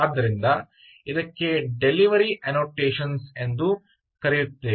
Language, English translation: Kannada, ah, there are what are known as delivery annotations to